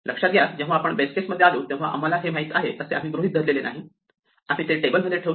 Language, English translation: Marathi, Notice we did not assume we knew it, when we came to it in the base case; we put it into the table